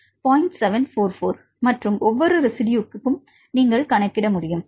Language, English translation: Tamil, 744 right and for all each residues you can calculate